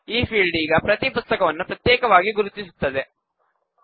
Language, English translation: Kannada, This field now will uniquely identify each book